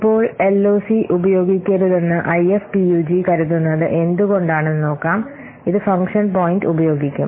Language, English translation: Malayalam, Now let's see why IFPUG thinks that one should not use LOC rather they should use function point